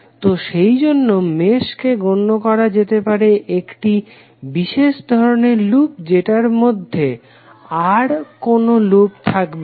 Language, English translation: Bengali, So mesh can be considered as a special kind of loop which does not contain any other loop within it